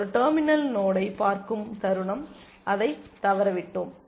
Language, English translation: Tamil, The moment we see a terminal node we missed it